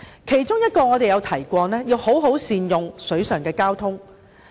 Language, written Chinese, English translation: Cantonese, 其中我們曾提到要好好善用水上交通。, In this connection we have made a suggestion about capitalizing on waterborne transport